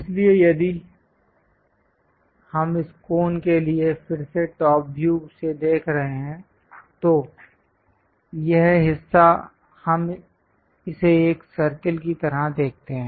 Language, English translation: Hindi, So, if we are looking from top view for this cone again, this part we see it like a circle